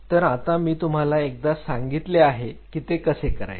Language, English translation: Marathi, So, now, once I have told you about how you